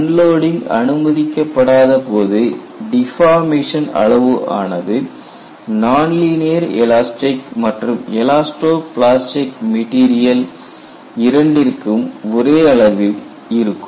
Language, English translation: Tamil, What it means is, any external measure of deformation would be the same in non linear elastic material as well as elasto plastic material